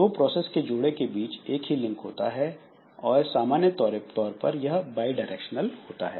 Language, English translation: Hindi, Each pair of processes may share several communication links and link may be unidirectional or bidirectional